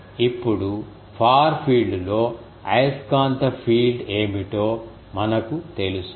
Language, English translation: Telugu, Now in the far field, we know what will be the magnetic field